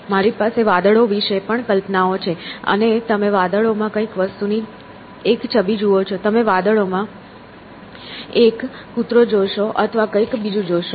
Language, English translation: Gujarati, So, I also have concepts about clouds and you see an image of something in the clouds; you see a dog in the clouds or you know something else